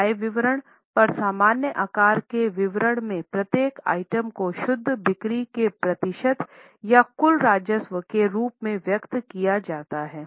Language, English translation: Hindi, In common size statement on income statement, each item is expressed as a percentage of net sales or the total revenue